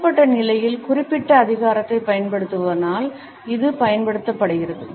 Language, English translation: Tamil, It is also used by those people who are wielding certain authority in a given position